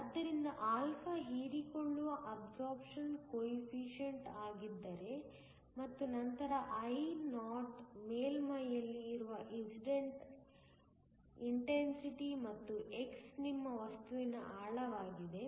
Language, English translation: Kannada, So, if α is the absorption coefficient and then Io is the Incident intensity at the surface and x is the depth within your material